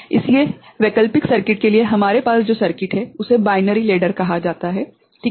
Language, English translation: Hindi, So, for the alternate circuit what we have is called binary ladder ok